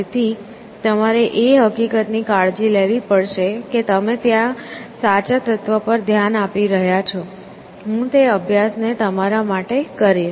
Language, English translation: Gujarati, So, you have to take care of the fact that you are looking at the correct element there, so I will lead that exercise for you to do